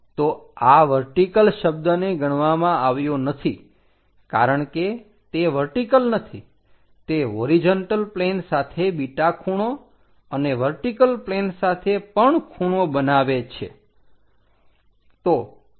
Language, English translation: Gujarati, So, this vertical word is avoided because it is not anymore vertical, it makes an angle beta with respect to the horizontal plane and inclined with respect to horizontal line